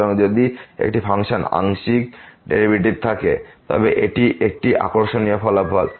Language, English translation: Bengali, So, if a function can have partial derivative that is a interesting result